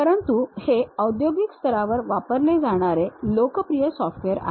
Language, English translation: Marathi, But these are the popular softwares used at industry level